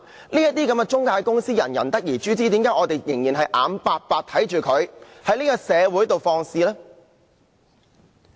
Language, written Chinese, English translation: Cantonese, 這些中介公司人人得而誅之，為何我們仍然眼白白看着它們在社會上放肆呢？, These intermediaries deserve the severest punishment possible . Why do we still watch them act in an unbridled manner in society without doing anything?